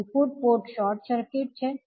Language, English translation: Gujarati, That is input ports short circuited